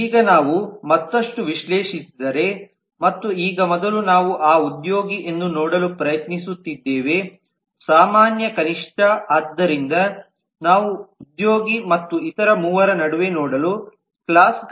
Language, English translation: Kannada, now if we analyze further and now earlier we were trying to see that employee was a common minimum so we are trying to see between employee and each of the other three classes